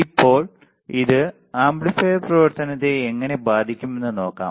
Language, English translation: Malayalam, Now, let us see how this is going to affect the amplifier operation